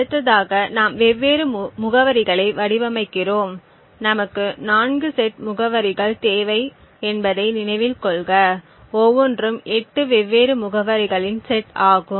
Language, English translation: Tamil, The next thing we do is we craft different addresses, note that we require 4 sets of addresses, each is a collection of 8 different addresses